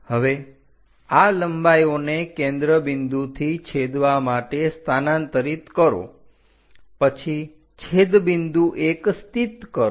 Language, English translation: Gujarati, Now, transfer these lengths one from focal point all the way to join intersect that, then locate the point intersection 1